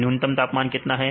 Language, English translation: Hindi, What is a minimum temperature